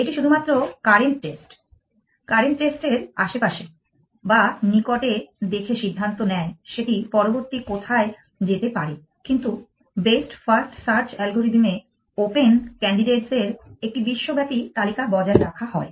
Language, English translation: Bengali, It only looks in the neighborhood of a current state to decide where to go next unlike the best first search algorithm which maintains a global list of open candidates